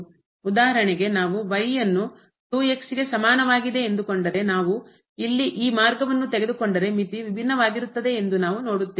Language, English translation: Kannada, For example, if we take is equal to 2 if we take this path here and then again we will see that the limit is different